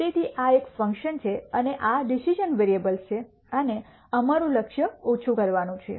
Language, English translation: Gujarati, So, this is a function and these are the decision variables and our goal is to minimize